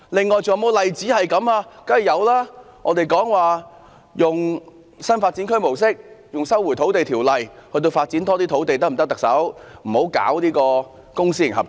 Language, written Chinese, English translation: Cantonese, 我們曾向特首建議，當局應採用新發展區模式，引用《收回土地條例》，以發展更多土地，不要搞公私營合作。, We have proposed to the Chief Executive that the authorities should adopt the new development area approach . The authorities should invoke the Lands Resumption Ordinance to develop more land rather than adopting the public - private partnership approach